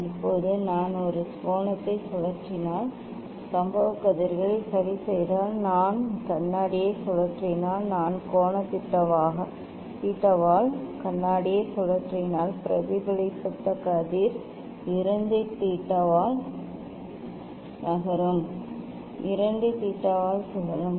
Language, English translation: Tamil, Now, if I if I just make an angle rotating this one if I am keeping the incident rays fixed, if I rotate mirror; if I rotate mirror by angle theta then reflected ray will move by 2 theta will rotate by 2 theta